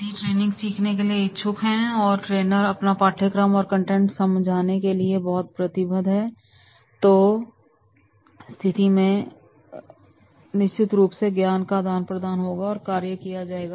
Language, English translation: Hindi, If the trainee is willing to learn and the trainer is highly committed to deliver his contents then in that case definitely that there will be the transfer of the knowledge or the job will be done